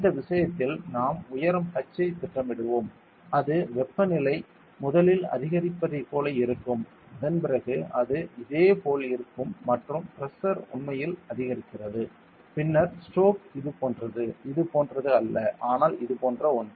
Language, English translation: Tamil, And we would be plotting altitude h on this thing and it will be like the temperature first increases, then draw its stay similar like this and the pressure increases then strokes something like this it is not exactly like this, but something like this